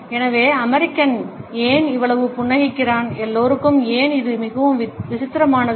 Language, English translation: Tamil, So, why do American smile so much and why is that so strange to everyone else